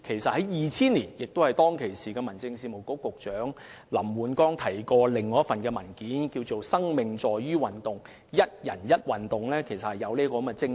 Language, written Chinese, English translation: Cantonese, 在2000年，時任民政事務局局長林煥光提到另一份名為"生命在於運動"的文件，而"一人一運動"其實正正是基於這種精神。, In 2000 the incumbent Secretary for Home Affairs LAM Woon - kwong mentioned another paper entitled Towards a More Sporting Future and one person one sport is exactly based on this principle